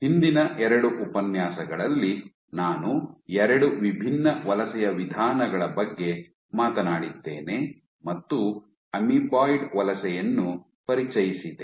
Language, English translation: Kannada, So, in the last two lectures I had spoken about two different modes of migration and introduced amoeboid migration right